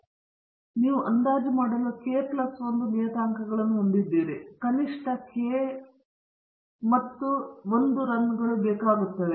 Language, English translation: Kannada, So, you have k plus 1 parameters to estimate and you need at least k plus 1 runs